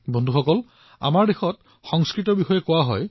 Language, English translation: Assamese, Friends, in these parts, it is said about Sanskrit